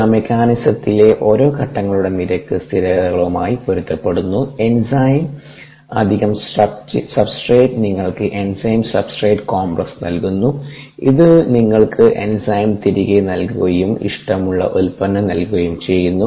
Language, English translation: Malayalam, these correspond to the rate constants of individuals, steps in the mechanism, enzyme plus substrate, giving you enzyme substrate complex, which further gives you enzyme and enzyme back and the product of interest